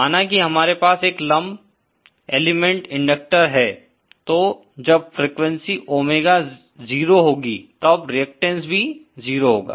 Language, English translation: Hindi, Suppose we have a lump element inductor, then at Frequency Omega is equal to 0, the reactance will be 0